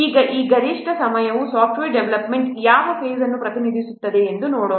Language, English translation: Kannada, Now let's see this peak time represents which phase of software development